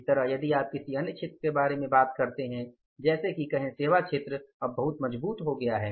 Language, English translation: Hindi, Similarly you talk about any in the services sector have become very very strong now